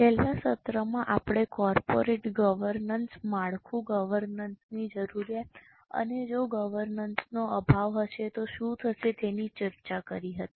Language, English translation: Gujarati, In the last session we had discussed corporate governance, the structure, the need for governance and what will happen if there is a lack of governance